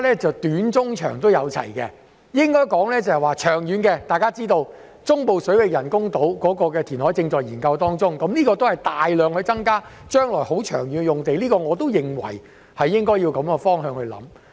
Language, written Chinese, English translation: Cantonese, 在長遠規劃方面，大家也知道，中部水域人工島填海的計劃正在研究，這將會增加大量土地，而且是長遠的用地，因此，我也認為應朝着這方向考慮。, In terms of long - term planning as Members may be aware studies are being conducted on the project of artificial islands in the Central Waters which will significantly increase the supply of land and land for long - term use . Therefore I opine that we should also consider in this direction